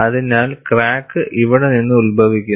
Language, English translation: Malayalam, So, crack will originate from here